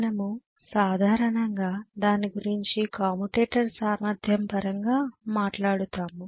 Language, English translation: Telugu, We generally talk about it in terms of commutator capacity